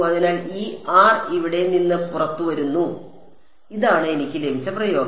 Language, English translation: Malayalam, So, this R came out from here and this is the expression that I got